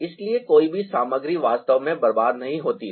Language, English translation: Hindi, it saves a lot of space, so none of the materials are actually wasted